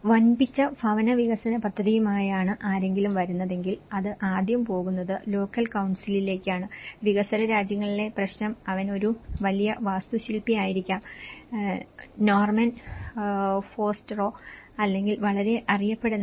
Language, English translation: Malayalam, If someone is coming with huge housing development project, then the first place it is going to the local council and the problem in developing countries was he might be a big architect who is let’s say Norman Foster or any other or even some very well known architects like B